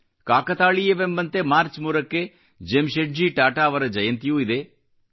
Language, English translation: Kannada, Coincidentally, the 3rd of March is also the birth anniversary of Jamsetji Tata